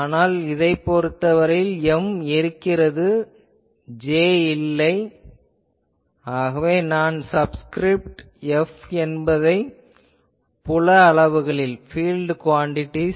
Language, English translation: Tamil, But that this I am considering this case, where M is present, J is absent; so, I am putting a subscript F in the field quantities